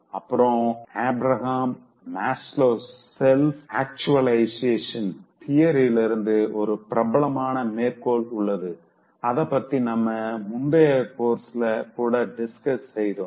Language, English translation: Tamil, There is a famous quote from Abraham Maslow, whose self actualization theory, we had discussed in the previous course